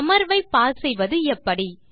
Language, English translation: Tamil, How do you pause your session